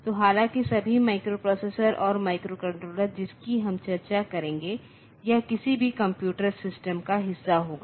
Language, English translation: Hindi, So, all though the microprocessors and microcontrollers that will be discussing they will be part of this any computer system